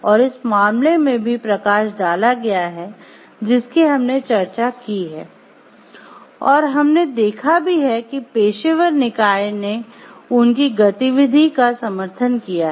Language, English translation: Hindi, And that has been highlighted in the case that we have discussed, and we have seen like the professional body has supported their activity